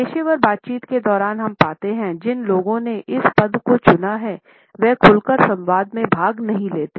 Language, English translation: Hindi, During professional interactions, we find that people who have opted for this position do not openly participate in the dialogue